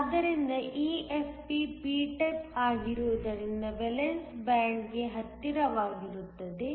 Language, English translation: Kannada, So, EFP since it is p type will be closer to the valence band